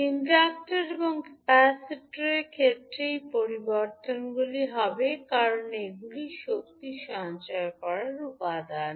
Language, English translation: Bengali, These changes would be there in case of inductor and capacitor because these are the energy storage elements